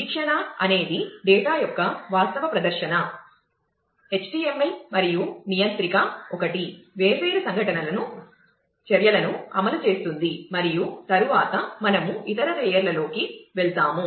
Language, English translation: Telugu, View is the actual presentation of the data, that HTML and controller is one who, receives different events execute actions and so on and then, we will go into the other layers